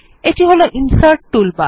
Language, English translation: Bengali, This is the Insert toolbar